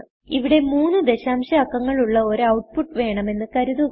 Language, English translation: Malayalam, Suppose here I want an output with three decimal places